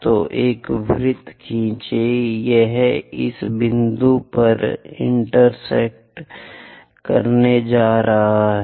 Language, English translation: Hindi, So, draw a circle, it is going to intersect at this point Q